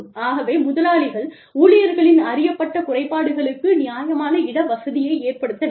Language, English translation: Tamil, So, one should, employers must make reasonable accommodation, for the known disabilities of employees